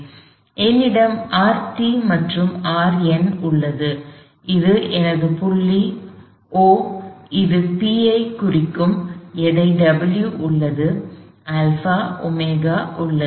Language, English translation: Tamil, So, R 7 R sub t; that is my point O, this will point P is a weight W is alpha, omega